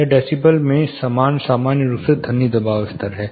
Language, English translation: Hindi, This is as usual this is sound pressure level in decibel